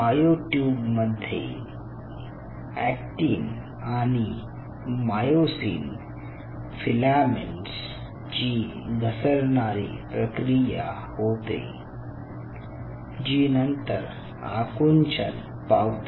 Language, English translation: Marathi, in other word, there will be a sliding motion of the actin and myosin filaments within the myotubes, leading to contraction